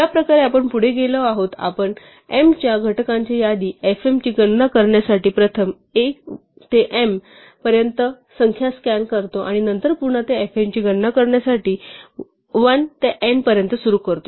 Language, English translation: Marathi, The way we have proceeded, we first scan all numbers from 1 to m to compute the list fm of factors of m, and then we again start from 1 to n to compute fn